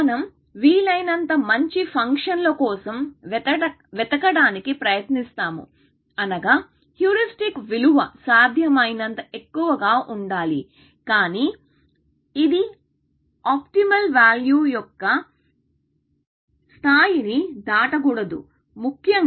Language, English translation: Telugu, So, we try to look for as good functions as possible, which means, that the heuristic value must be as high as possible, but it should not cross the level of the optimal value, especially